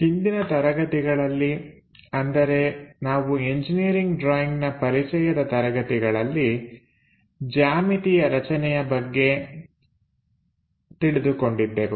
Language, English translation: Kannada, In the earlier classes, we have learnt about introduction to engineering drawings something about geometric constructions